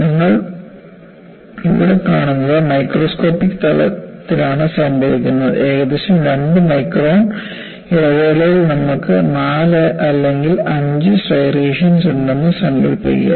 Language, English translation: Malayalam, What you see here, happens that are microscopic level; imagine, that you will have 4 or 5 striations in a span of about 2 microns